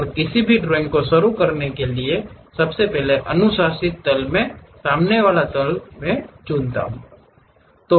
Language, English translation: Hindi, And, the recommended plane to begin any drawing is pick the front plane